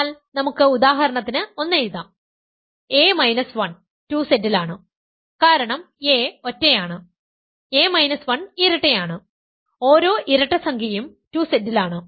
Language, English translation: Malayalam, But then we can write one for example, a minus 1 is in 2Z, because a is odd, a minus 1 is even, every even integer is in 2Z